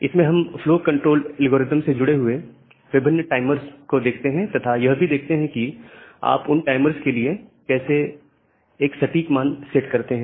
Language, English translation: Hindi, And the different timers associated with this flow control algorithm and how you set a proper value for those timers